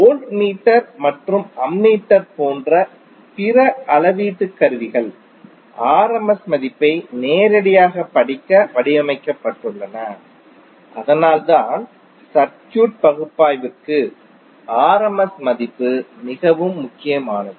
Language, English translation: Tamil, And our other measuring instruments like voltmeter and ammeter are designed to read the rms value directly, so that’s why the rms value is very important for our circuit analysis